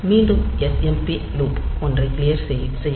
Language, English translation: Tamil, So, it will again clear smp loop one